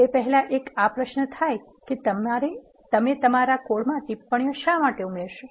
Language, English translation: Gujarati, Before that let us ask this question: why do you add comments to your codes